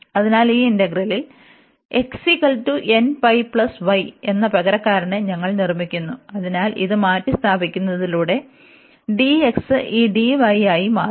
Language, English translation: Malayalam, So, we make the substitution x is equal to n pi plus y in this integral, so by substituting this, so dx will become this d y